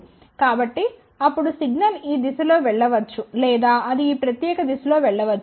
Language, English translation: Telugu, So, then signal can go in this direction or it can go in this particular direction